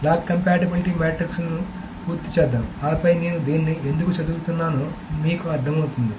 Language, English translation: Telugu, And okay, let us complete the log compatibility matrix and then we will understand what this is why I am saying this